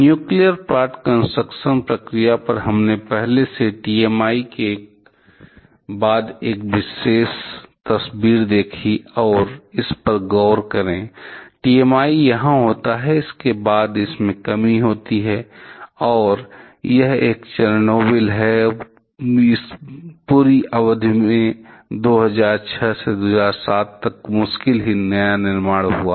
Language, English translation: Hindi, On the nuclear plant construction procedure, we have already seen one picture earlier following TMI and look at this; the TMI happens here, after that there is a decrease and now this is Chernobyl and following Chernobyl over this entire period hardly and new construction happened, till about 2006 to 2007